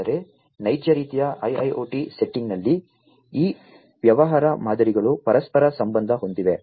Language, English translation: Kannada, But, in a real kind of IIoT setting, these business models are interlinked